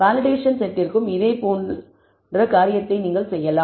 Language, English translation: Tamil, You can do a similar thing for the validation set also